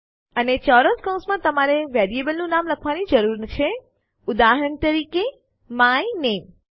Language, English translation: Gujarati, And in square brackets you need to write the name of the variable for example, my name